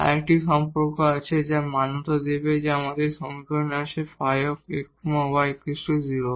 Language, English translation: Bengali, So, we have another relation which has to be satisfied, and we have this equation phi x y is equal to 0